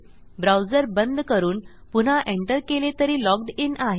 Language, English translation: Marathi, If I close the browser I am still going to be logged in when I enter back